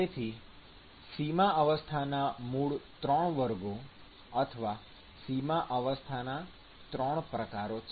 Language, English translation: Gujarati, So, there are three basic classes of boundary condition or three types of boundary condition